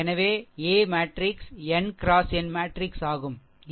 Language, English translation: Tamil, So, a a matrix is n into n matrix, right